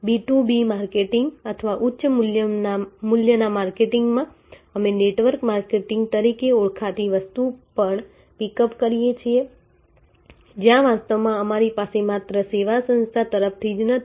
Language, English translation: Gujarati, In B2B marketing or high value marketing, we also pickup something called network marketing, where actually we have not only the directly from the service organization